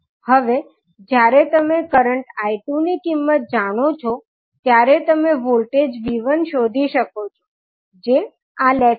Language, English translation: Gujarati, Now, when you know the value of current I2 you can find out the voltage V1 which is across this particular lag